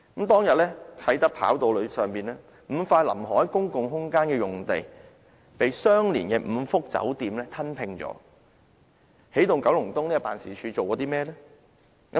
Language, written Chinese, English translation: Cantonese, 當日啟德跑道上 ，5 塊臨海公共空間用地，被相連的5幅酒店用地吞拼，起動九龍東辦事處做過甚麼呢？, At that time five plots of public open space along the waterfront at the Kai Tak Runway were merged with five plots of hotel sites . But what has EKEO done?